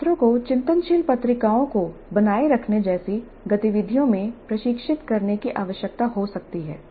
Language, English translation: Hindi, Students may need to be trained in activities like maintaining reflective journals